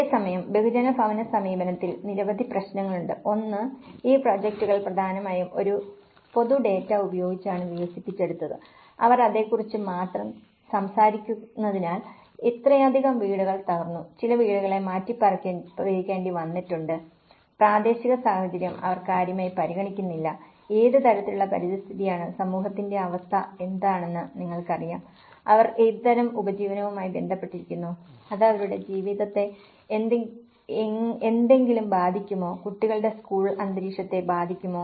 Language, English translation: Malayalam, Whereas, in mass housing approach, there are many issues; one is these projects are mainly developed with a general data and because they only talk about yes, this many houses have been collapse and this many some households has to be relocated, they don’t give much regard to the local situation, what kind of environment it is, what kind of the you know the situation of the community, what kind of livelihood they are related to, is it going to affect something of their livelihood, it is going to affect the children's school environment